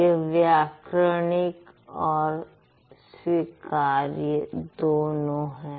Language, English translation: Hindi, It is grammatical